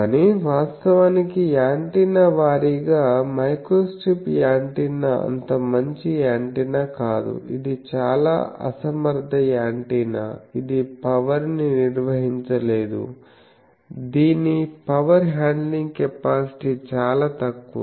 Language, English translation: Telugu, But, actually antenna wise microstrip antenna is a very very bad antenna, it is a very inefficient antenna also it cannot handle power, it is power handling capability is very less